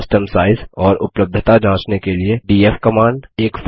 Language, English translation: Hindi, df command to check the file system size and its availability